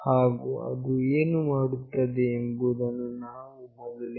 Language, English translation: Kannada, And what it does I have already explained